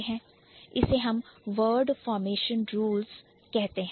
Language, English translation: Hindi, So, that is what we call word formation rules